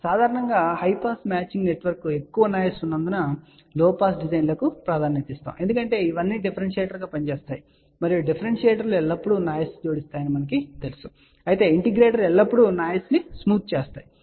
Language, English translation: Telugu, Now, generally low pass designs are preferred as high pass matching network have more noise because all these things are acting as a differentiator and we know that differentiators are always adding noise whereas, integrators are always smoothening out the noise